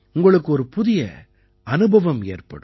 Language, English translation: Tamil, You will undergo a new experience